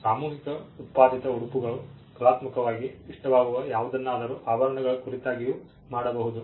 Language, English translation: Kannada, Mass produced dresses anything that is aesthetically appealing, anything can be done jewelry